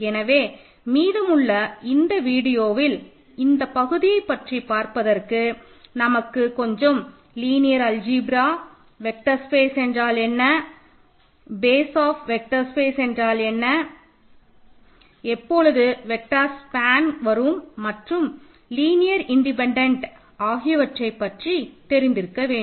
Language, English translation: Tamil, So, in this part of the course in the remaining videos we need a little bit of linear algebra, you need to know what are vector spaces, what are bases of vector spaces, when do we say set of vectors span a vector space or are linearly independent all these notions